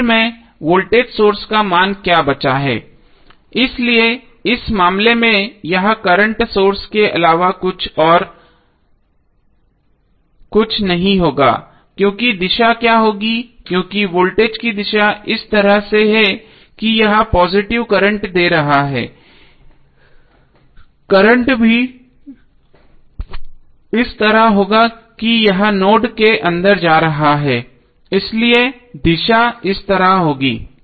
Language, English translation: Hindi, Now finally what is left, the left value is the voltage source, so in this case it will be nothing but the current source now what would be the direction because direction of voltage is in such a way that it is giving positive current so the current will also be in such a way that it is going inside the node, so the direction would be like this